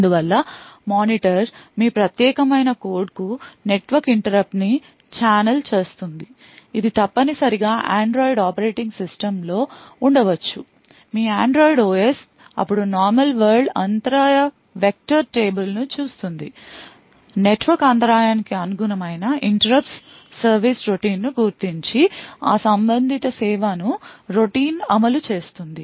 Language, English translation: Telugu, So therefore the monitor would channel the network interrupt to your privileged code which essentially could be at Android operating system your Android OS would then look up the normal world interrupt vector table identify the interrupt service routine corresponding to the network interrupt and then execute that corresponding service routine